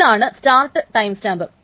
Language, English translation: Malayalam, This is the start timestamp